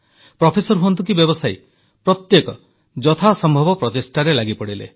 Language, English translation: Odia, Be it a professor or a trader, everyone contributed in whatever way they could